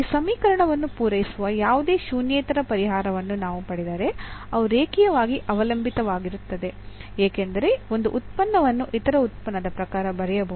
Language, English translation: Kannada, And if we get any nonzero solution which satisfy this equation then they are linearly dependent because one function 1 can write in terms of the other function